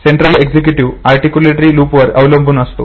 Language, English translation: Marathi, The central executive depends upon articulatory loop